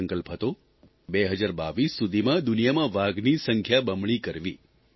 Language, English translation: Gujarati, It was resolved to double the number of tigers worldwide by 2022